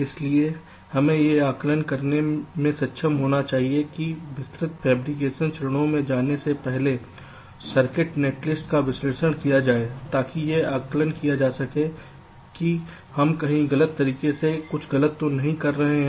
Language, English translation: Hindi, so we must be able to analyze the circuit netlist before hand, before going into the detailed fabrication steps, to access whether we are going grossly wrong something somewhere